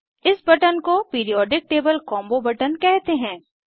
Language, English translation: Hindi, This button is known as Periodic table combo button